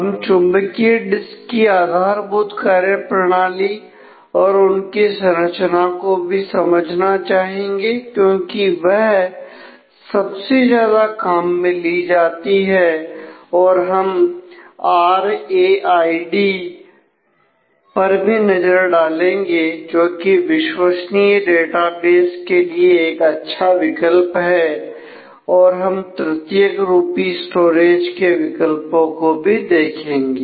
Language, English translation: Hindi, We would like to understand the structure and basic functionality of magnetic disks, because they are they are most widely used we will try to take the glimpse about RAID which is a kind of a good option in terms of reliable databases and also look at options for the tertiary storage